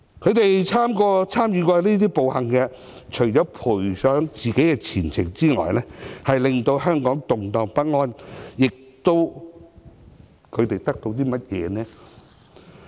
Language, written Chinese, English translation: Cantonese, 他們參與過這些暴行，除了賠上自己的前程，令香港動盪不安外，他們得到甚麼呢？, Conceited and short - sighted . Never expect the deluxe home to fall into ruin . Those who participate in violent acts have sacrificed their own future and wreaked havoc in Hong Kong; what can they get in return?